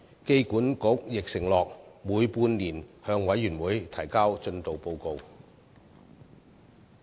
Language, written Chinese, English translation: Cantonese, 機管局亦承諾每半年向事務委員會提交進度報告。, AAHK also undertook to submit progress report of the project to the Panel half - yearly